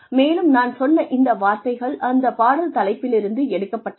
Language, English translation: Tamil, And, I have taken these words, from the title of the play